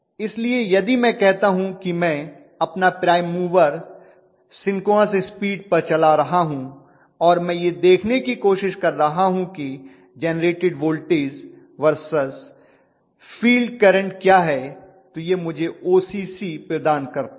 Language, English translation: Hindi, So if I say that at synchronous speed if I am running my prime mover and I am trying to look at what is the generated voltage versus field current that gives me the OCC